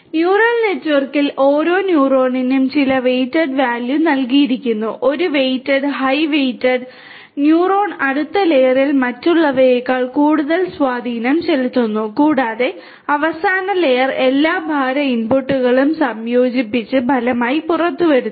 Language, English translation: Malayalam, In neural network, each neuron is assigned with some weighted value, a weighted, a high weighted neuron exerts more effect on the next layer than the others and the final layer combines all the weight inputs to emerge with a result